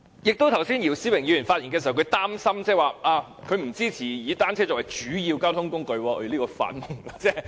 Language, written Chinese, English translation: Cantonese, 姚思榮議員剛才發言時表示擔心，他不支持以單車作為主要交通工具。, Mr YIU Si - wing has expressed worries in his speech that he does not support making bicycles a major mode of transport